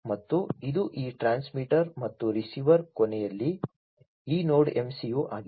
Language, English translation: Kannada, And this is this transmitter and also this Node MCU at the receiver end, right